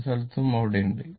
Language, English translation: Malayalam, Many places it is there